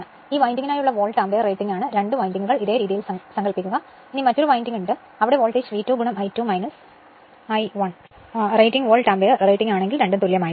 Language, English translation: Malayalam, This is the Volt ampere rating for this winding as if 2 windings are separate this way you imagine and this is another winding is there voltage is V 2 into your I 2 minus I 1 right; both have to be same if the rating Volt ampere rating